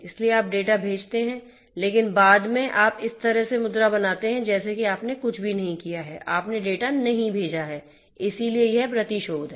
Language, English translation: Hindi, So, you send the data, but later on you know you pose like as if you have not done anything, you have not sent the data right, so, that is repudiation